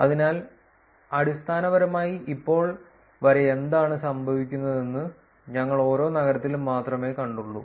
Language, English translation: Malayalam, So, essentially until now we only saw per city what is happening